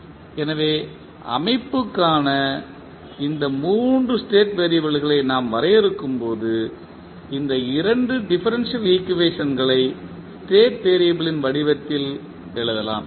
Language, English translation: Tamil, So, when we define these 3 state variables for the system we can write these 2 differential equation in the form of the state variable